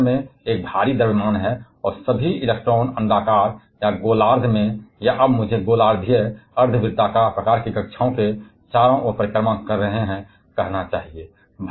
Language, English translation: Hindi, Where we have a heavier mass at the center, and all the electrons are orbiting around that in elliptical or hemispherical or I should now say hemispherical, semicircular kind of orbits